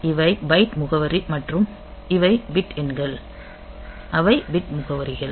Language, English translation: Tamil, So, these are the byte address and these are the bit numbers they are the bit addresses